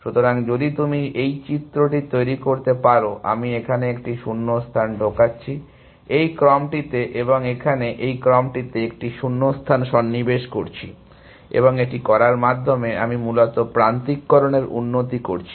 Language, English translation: Bengali, So, if you can make out this diagram, I am inserting a gap here, in this sequence and I am inserting a gap here in this sequence and by doing so, I am improving the alignment essentially